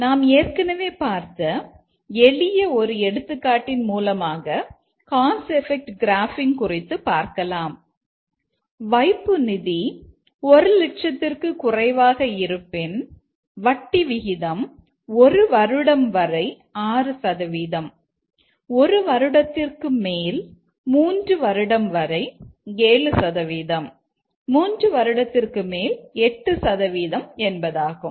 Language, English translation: Tamil, We explain this cause effect graphing using a simple example that we were discussing earlier that if the deposit amount is less than thousand, then the rate of interest is 6%, 7%, 8% for deposit up to 1 year, over 1 year and less than 3 year it is 7%, 8%, the deposit is 3 years and above